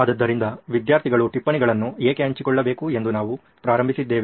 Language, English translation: Kannada, So we have started with why do students need to share notes